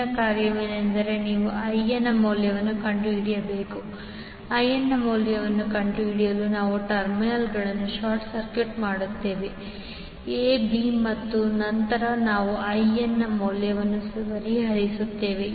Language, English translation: Kannada, Next task is you need to find out the value of IN, to find the value of IN we short circuit the terminals a b and then we solve for the value of IN